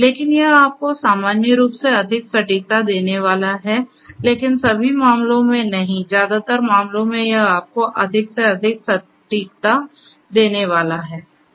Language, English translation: Hindi, The, but it is going to give you more accuracy in general, but not in all cases, but in most cases it is going to give you more and more accuracy